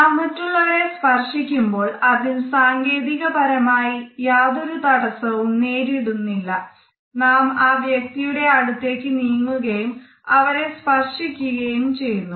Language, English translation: Malayalam, When we touch other persons, we find that the technological barriers are absolutely absent, we have to move close to a person and establish a touch